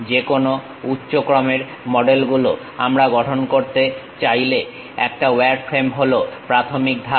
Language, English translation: Bengali, Any higher order models we would like to construct, wireframe is the basic step